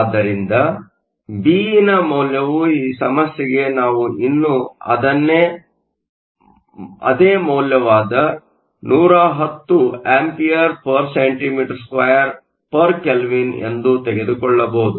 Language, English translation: Kannada, So, the value of Be, for this problem we can still take the same value 110 A cm 2 K 1